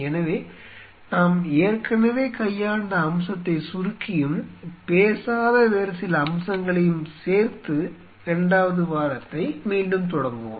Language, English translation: Tamil, So, let us resume the second week by kind of summarizing the aspect what we have already dealt and couple of other aspect which we have not talked about to start off with